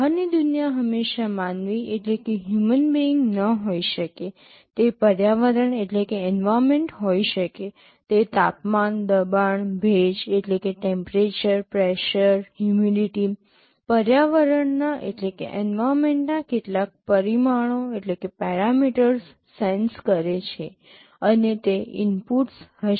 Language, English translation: Gujarati, The outside world may not always be a human being, it may be environment, it senses some temperature, pressure, humidity some parameters of the environment, and those will be the inputs